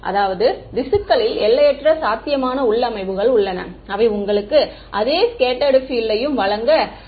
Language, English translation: Tamil, That means, there are infinite possible configurations of the tissue which can conspire to give you the same scattered field